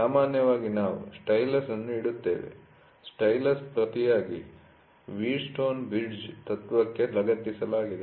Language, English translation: Kannada, So, generally we keep a stylus, the stylus in turn is attached to the Wheatstone bridge principle, ok